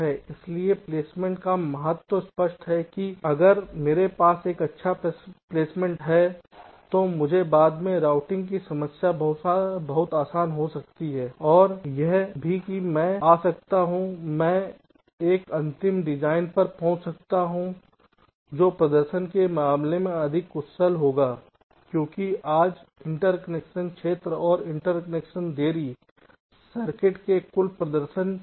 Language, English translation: Hindi, ok, so the important of placement is quite cleared, that if i have a good placement i can have the routing problem much easier later on and also i can come or i can arrive at a final design which will be more efficient in terms of performance, because today interconnection area and interconnection delays are dominating the total performance of the circuits